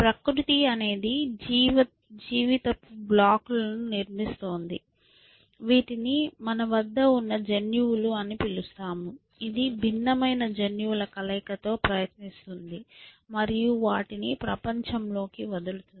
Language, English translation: Telugu, So, nature is, it is this building blocks of life, which are called the genes that we have, which is trying out with different combination of genes and letting them loose in the world